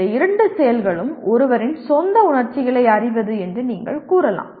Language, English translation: Tamil, You can say these two activities are knowing one’s own emotions